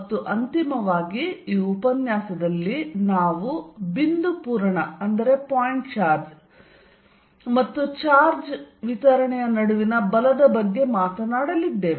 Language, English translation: Kannada, And finally, in this lecture we are going to talk about the force between a point charge and a charge distribution